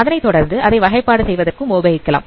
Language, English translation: Tamil, And then subsequently can use it for classification